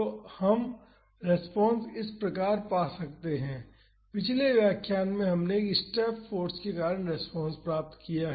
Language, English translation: Hindi, So, we can find the response as this, in the previous lectures we have derived the response due to a step force